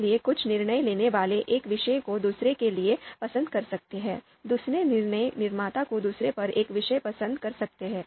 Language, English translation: Hindi, So some DM might prefer one subject to another, the another DM might prefer one subject over the other one